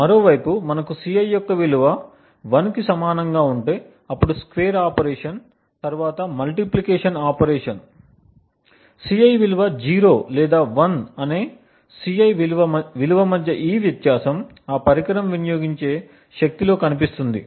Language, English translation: Telugu, On the other hand if we have a value of Ci to be equal to 1, then the square operation is followed by the multiplication operation, this difference between a value of Ci whether the value of Ci is 0 or 1 shows up in the power consumed by that device